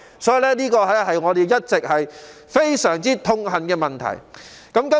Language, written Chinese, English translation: Cantonese, 這是我們一直非常痛恨的問題。, This has remained an outrageous problem to us all along